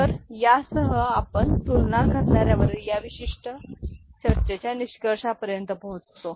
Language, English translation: Marathi, So, with this, we come to the conclusion of this particular discussion on comparator